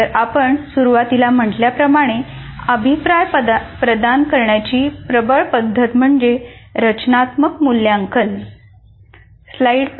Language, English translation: Marathi, Because as we said in the beginning, the major method of providing feedback is through formative assessment